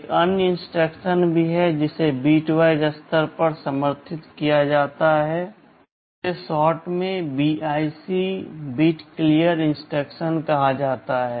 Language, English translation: Hindi, There is another instruction also that is supported at the bitwise level this is called bit clear instruction, in short BIC